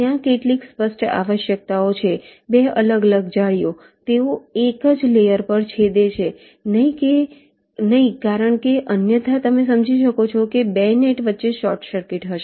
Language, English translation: Gujarati, there are some obvious requirements: two different nets, they should not intersect on the same layer as otherwise, you can understand, there will be a short circuit between the two nets